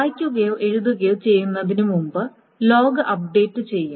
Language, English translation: Malayalam, Before the read or write is done, log is updated